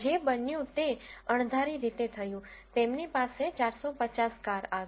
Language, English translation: Gujarati, What happened is unexpectedly, they got 450 cars